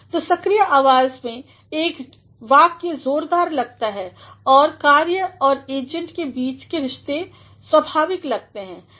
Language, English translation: Hindi, So, a sentence in the active voice appears vigorous and the relations between the action and the agent appears natural